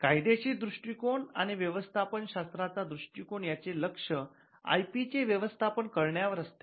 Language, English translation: Marathi, A legal approach and an approach by the management school is that the focus here is on managing IP